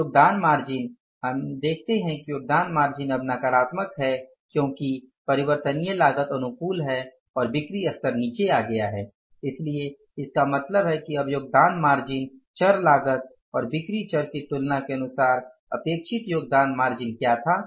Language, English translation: Hindi, Contribution margin is the we have to see that the contribution margin is negative now because variable cost is favorable and the sales level has come down so it means now the contribution margin what was expected contribution margin as per comparing the variable cost and the this is the sales level this is the variable cost